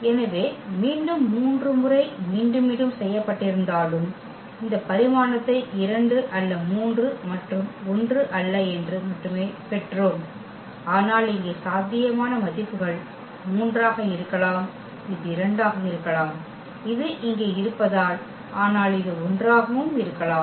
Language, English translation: Tamil, So, again though it was repeated 3 times, but we got only this dimension as 2 not 3 and not 1, but the possible values here could be 3, it could be 2 as this is the case here, but it can be 1 as well